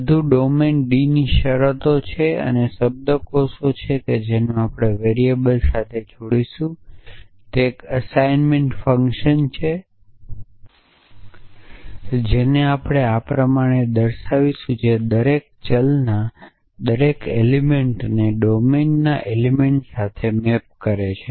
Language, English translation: Gujarati, So, everything is a terms of domine D and the semantics that we will associate with variables is an assignment function we will call this which matches which maps every element of every variable to an element of the domine essentially